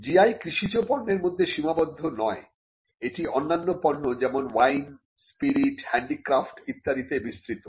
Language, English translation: Bengali, A GI is not limited to agricultural products it extends to other products like wine, spirits, handicrafts etcetera